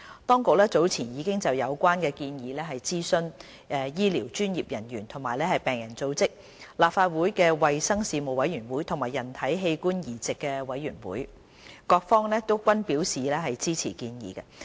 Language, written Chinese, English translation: Cantonese, 當局早前已就有關的建議諮詢醫療專業人員和病人組織、立法會衞生事務委員會和人體器官移植委員會，各方均表示支持建議。, With regard to the proposal the authorities have earlier consulted health care professionals patient groups the Legislative Council Panel on Health Services and the Human Organ Transplant Board HOTB and in return have received support from all these parties